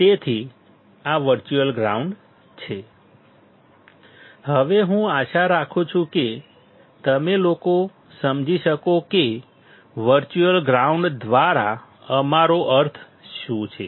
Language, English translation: Gujarati, So, this is virtual ground; now I hope that you guys can understand what we mean by virtual ground